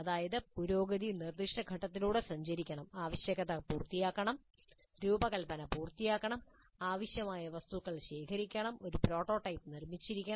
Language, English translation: Malayalam, Require requirements must be completed, design must be completed, the necessary materials must be gathered, a prototype must be built